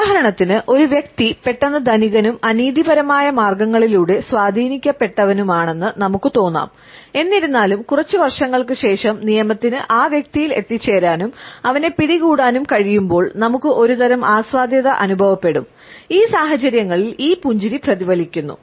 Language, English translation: Malayalam, For example; we may feel that a person has become suddenly rich and influential by unethical means; however, when after a couple of years the law is able to reach that individual and nabs him then we feel some type of an enjoyment and this smile is also reflected in these situations